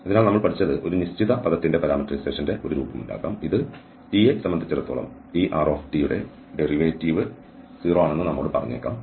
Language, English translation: Malayalam, So, what we learned here that there could be a form of parameterization of a given term, which may tell us that the derivative of this r with respect to t is 0